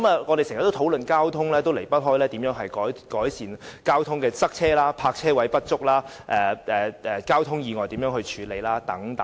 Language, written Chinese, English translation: Cantonese, 我們經常討論交通，當中總離不開如何改善交通擠塞、泊車位不足、如何處理交通意外等。, Our usual discussions on transport are invariably confined to ways to ameliorate traffic congestion and inadequate parking spaces as well as ways to deal with traffic accidents